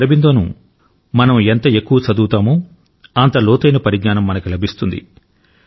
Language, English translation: Telugu, The more we read Sri Aurobindo, greater is the insight that we get